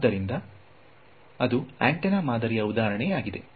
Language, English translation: Kannada, So, that is an example of an antenna pattern